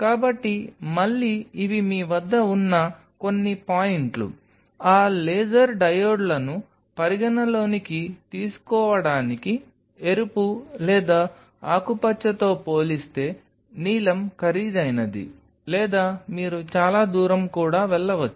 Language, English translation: Telugu, So, again these are some of the points what you have, to consider those laser diodes which are therefore, the blue is costly as compared to red or green or you may even go for a far raid